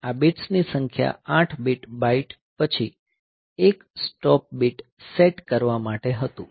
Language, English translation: Gujarati, So, this was for setting this the number of bits, 8 bit the 8 bit byte then 1 stop bit